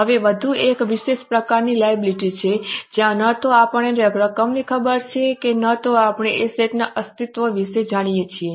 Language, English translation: Gujarati, Now, there is one more special type of liability where neither we know the amount nor we know the existence of asset